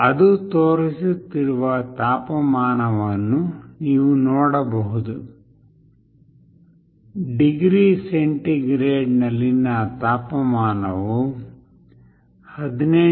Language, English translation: Kannada, The temperature what it is showing, you can see this, the temperature in degree centigrade is 18